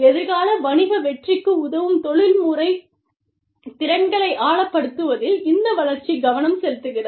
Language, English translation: Tamil, The development is focused on, deepening professional skills, that enable future business winning